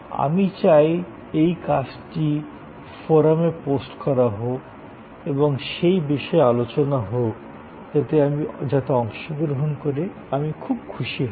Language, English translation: Bengali, And I would like this assignment to be posted on the forum and discussions on that in which I would be very glad to participant